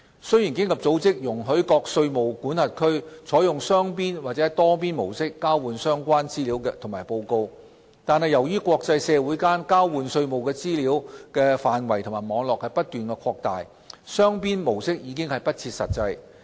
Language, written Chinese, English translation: Cantonese, 雖然經合組織容許各稅務管轄區採用雙邊或多邊模式交換相關資料及報告，但由於國際社會間交換稅務資料的範圍及網絡不斷擴大，雙邊模式已不切實際。, Although OECD allows jurisdictions to exchange relevant information and reports on either a bilateral or multilateral basis such an approach has become increasingly impractical given the continued expansion in the scope and network of tax information exchanges in the international community